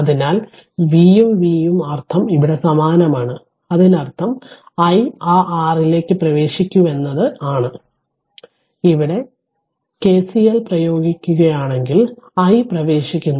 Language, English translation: Malayalam, So, V and V meaning is same here right so; that means, that this i is entering into that your what you call into this if you apply KCL here, if you apply KCL here then i is entering